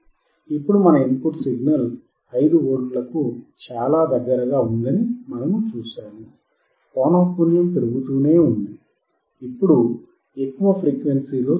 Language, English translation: Telugu, 72V Now we see that it is very close to our input signal 5V is keep on increasing the frequency now at a higher frequency